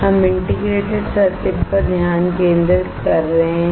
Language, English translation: Hindi, We are focusing on integrated circuit